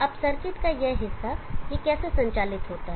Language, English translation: Hindi, Now this portion of the circuit how does it operate